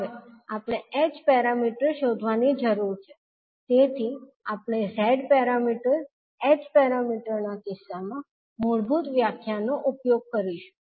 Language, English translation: Gujarati, Now we need to find out the h parameters, so we will use the basic definition for in case of h parameters